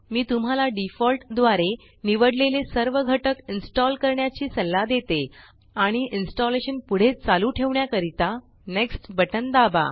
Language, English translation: Marathi, I advise you to install all the components selected by default and hit the next button to continue the installation